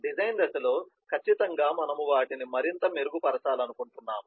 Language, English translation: Telugu, and in the design phase, certainly we would like to refine them more